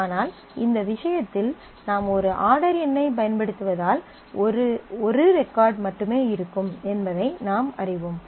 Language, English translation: Tamil, But in this case since we are using one order number we know that there will be only one record